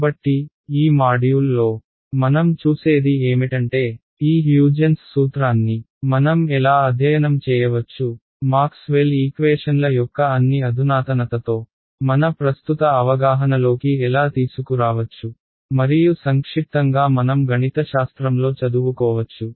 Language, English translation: Telugu, So, what we will look at in this module is how can we study this Huygens principle, how can we bring it into our current understanding with all the sophistication of Maxwell’s equations and in short can I study it mathematically ok